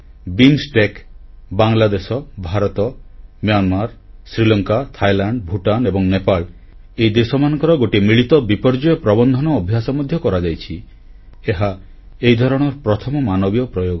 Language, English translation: Odia, India has made a pioneering effort BIMSTEC, Bangladesh, India, Myanmar, Sri Lanka, Thailand, Bhutan & Nepal a joint disaster management exercise involving these countries was undertaken